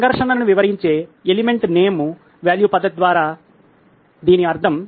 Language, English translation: Telugu, So, this is what we mean by Element Name Value method of describing a conflict